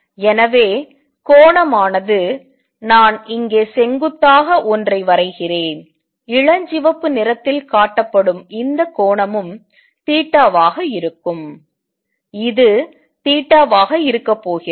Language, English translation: Tamil, So, the angle would be if I draw perpendicular here this angle inside shown by pink is also going to be theta, this is going to be theta